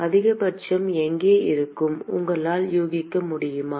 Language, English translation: Tamil, Where will be the maxima can you guess